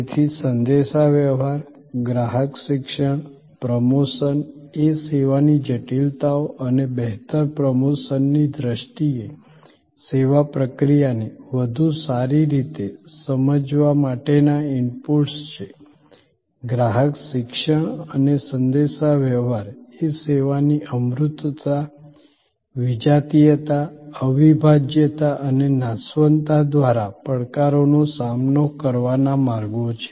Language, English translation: Gujarati, So, communication, customer Education, promotion are inputs to better understanding of the service process in terms of the service complexities and better promotion, customer education and communication are ways to respond to the challenges post by the intangibility, heterogeneity, inseparability and perishability of service